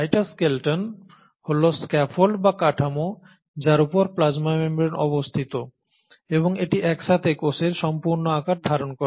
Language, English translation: Bengali, The cytoskeleton is the scaffold or the structure on which the plasma membrane rests and it holds the entire shape of the cell together